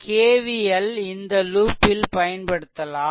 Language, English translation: Tamil, So, I have to apply your K V L in this loop